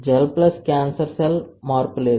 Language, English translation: Telugu, Gel plus cancer cell no change